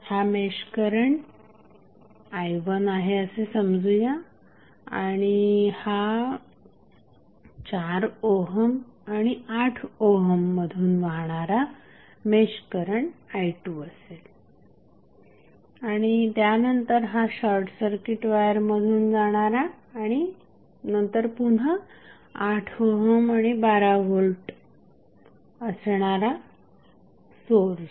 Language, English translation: Marathi, Let us say this is the mesh current as i 1 and this is mesh current as i 2 which is flowing through 4 ohm, 8 ohm and then this through short circuit wire then again 8 ohm and 12 volt source